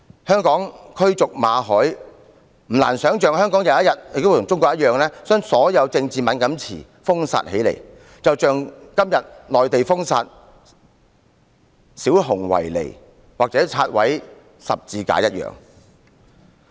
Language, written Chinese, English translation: Cantonese, 香港驅逐馬凱，不難想象香港有一天亦會像中國一樣，把所有政治敏感詞封殺，就像今天內地封殺小熊維尼或拆毀十字架一樣。, After the expulsion of Victor MALLET it is not hard to imagine that one day Hong Kong will be just like China banning all politically sensitive terms as in the case of censoring Winnie the Pooh and pulling down crucifixes